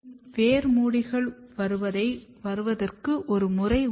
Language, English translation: Tamil, And there is a pattern of root hairs coming